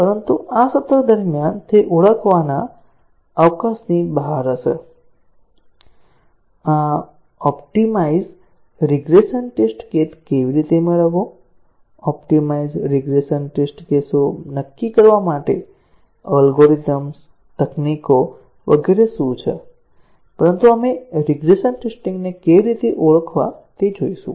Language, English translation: Gujarati, But during this session it will be out of scope to identify, how to get these optimized regression test cases, what are the algorithms, techniques, etcetera, to determine the optimized regression test cases, but we will look at how to identify the regression tests